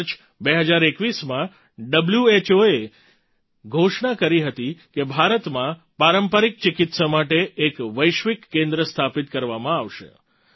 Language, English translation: Gujarati, In March 2021, WHO announced that a Global Centre for Traditional Medicine would be set up in India